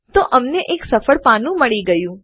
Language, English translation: Gujarati, So we get a successful page